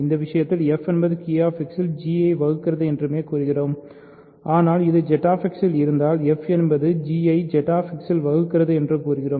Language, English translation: Tamil, In this case we only say f divides g in Q X, but if it also lives in Z X we say f divides g in Z X